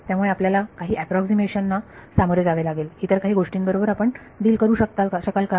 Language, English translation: Marathi, So, you will face some approximation error, anything else that you can do deal with